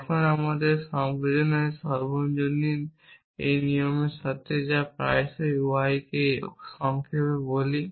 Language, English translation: Bengali, with this rule of universal in sensation which we often abbreviate to UI